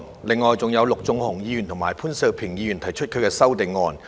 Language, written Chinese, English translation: Cantonese, 另外，還有陸頌雄議員和潘兆平議員提出了修正案。, In addition Mr LUK Chung - hung and Mr POON Siu - ping have proposed amendments